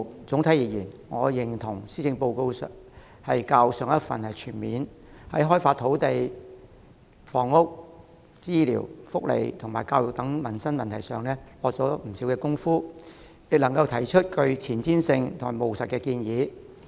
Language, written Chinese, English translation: Cantonese, 整體而言，我認同這份施政報告較上一份全面，在開發土地、房屋、醫療、福利及教育等民生問題上下了不少工夫，亦能提出具前瞻性和務實的建議。, Overall I agree that this Policy Address is more comprehensive than the last one . It has made quite a lot of efforts at livelihood issues such as land development housing health care welfare and education with forward - looking and practical proposals